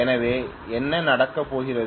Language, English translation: Tamil, That is what it is going to do